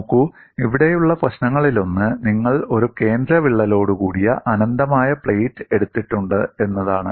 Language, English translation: Malayalam, See, one of the issues here is, you have taken an infinite plate with a central crack